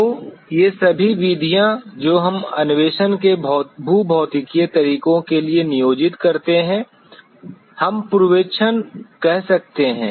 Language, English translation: Hindi, So, all these methods that we employ for the geophysical methods of exploration, we can call prospecting